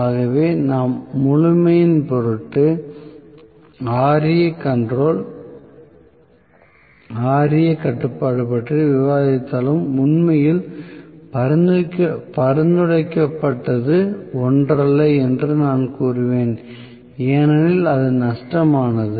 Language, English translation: Tamil, So, I would say that although we for sake of completeness we discussed Ra control Ra control is really not a very recommended one because it is lossy